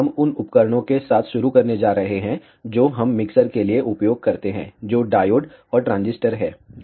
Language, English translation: Hindi, So, in this lecture, what we are going to do, we are ah going to start with the devices that we use for mixes, which are diodes and transistors